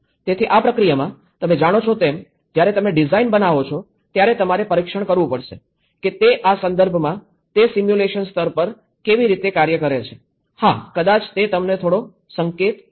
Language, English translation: Gujarati, So, in this process, you know when you do a design, when you have to test back how it works in this context, on a simulation level, yeah, maybe it will give you some hint